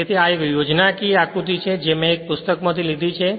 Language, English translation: Gujarati, So, this is a schematic diagram which I have taken from a book right